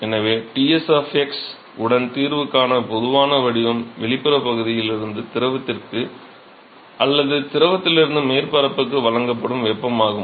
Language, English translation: Tamil, So, therefore, the general form of the solution with Ts of x if you assume that is heat that is been supplied from the external region to the fluid, or from fluid to the surface